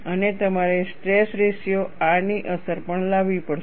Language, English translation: Gujarati, And you will also have to bring in, the effect of stress ratio R